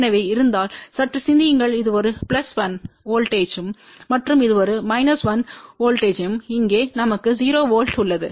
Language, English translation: Tamil, So, just think about if this is a plus 1 voltage and this is a 1 1 voltage here we have a 0 volt